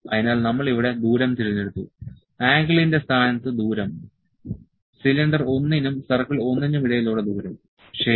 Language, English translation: Malayalam, So, we have the selected distance here, distance in place of angle, distance between cylinder 1 and circle 1, ok